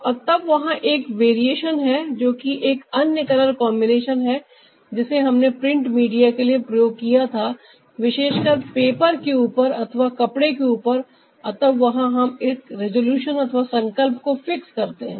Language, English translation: Hindi, and then there is a variation, that is another color combination that we used for the print media, specially on paper or cloth, and there we fix a resolution